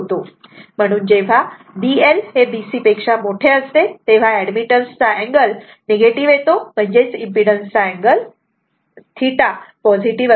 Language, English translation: Marathi, So, when B L greater than B C that angle of admittance is negative; that means, angle of admittance theta is positive